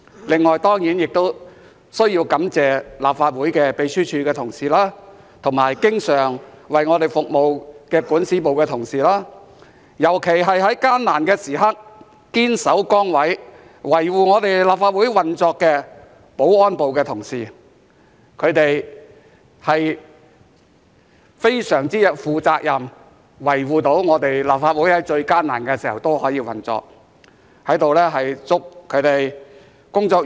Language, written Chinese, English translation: Cantonese, 此外，當然亦需要感謝立法會秘書處的同事，包括經常為我們服務的管事，以及尤其在艱難的時刻，堅守崗位，維護立法會運作的保安組同事，他們非常負責任，在立法會最艱難時，能夠維護立法會的運作。, Besides I surely also need to thank the colleagues in the Legislative Council Secretariat including the stewards who are always there for us as well as the whole team of security staff who holding fast to their positions have been so responsible in keeping the Legislative Council running especially in difficult times